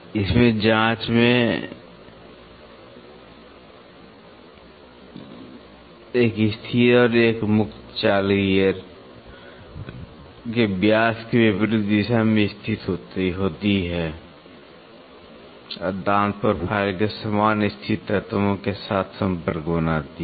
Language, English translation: Hindi, In this one fixed and one free move in probe are positioned on diametrically opposite side of the gear and make the contact with identical located elements of the tooth profile